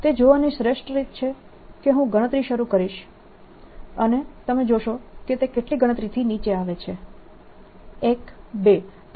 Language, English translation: Gujarati, best way to see that is: i'll start counting and you will see how many counts it takes